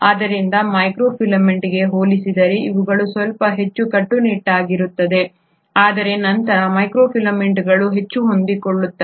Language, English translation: Kannada, So compared to microfilament these are a little more rigid, but then microfilaments are far more flexible